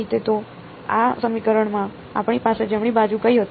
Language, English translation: Gujarati, So, what was the right hand side that we had in this equation